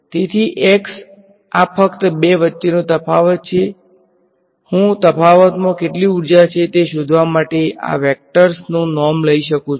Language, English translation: Gujarati, So, x this is just the difference between the two I can take the norm of this vector to find out how much energy is in the difference